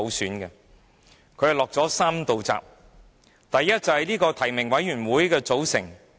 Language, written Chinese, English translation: Cantonese, 八三一決定落下了3道閘，第一，是關乎提名委員會的組成。, The Decision set three barriers . The first is about the composition of the nominating committee